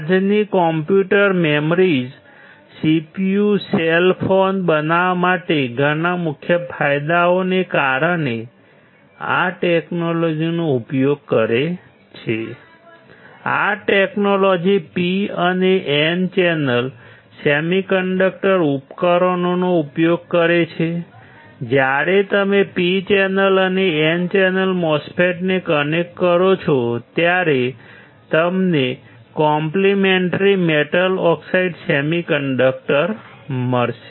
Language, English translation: Gujarati, Today’s computer memories CPU cell phones make use of this technology due to several key advantages; this technology makes use of both P and N channel semiconductor devices, when you connect P channel and N channel MOSFETs, you will get complementary metal oxide semiconductor